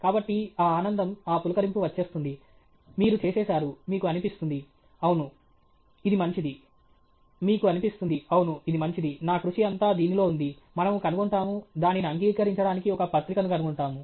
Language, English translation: Telugu, So, that joy, that thrill is already there; you have already done it; you feel, yes, it’s good; you feel, yes, it’s good; my hard work everything is there; we will find, we will find a journal to accept it okay